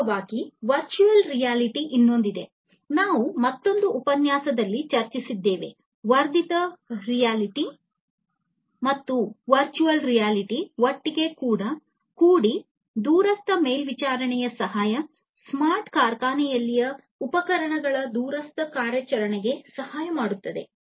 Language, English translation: Kannada, In fact, there is another one which is the virtual reality, that also we have discussed in another lecture, augmented reality and virtual reality together will help in remote monitoring, remote operations of instruments in a smart factory